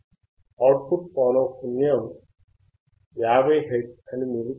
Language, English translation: Telugu, You can see that the output is 50 hertz